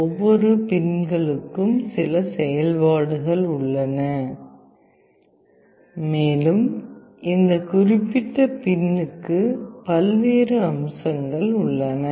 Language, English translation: Tamil, Each of the pins has got certain functionalities and there are various features of this particular pin